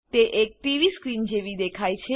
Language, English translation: Gujarati, It looks like a TV screen